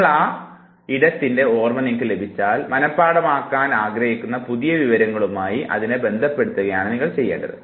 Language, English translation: Malayalam, And now once you have the memory of the space, all you have to do is that you associate it to the new information that you are supposed to memorize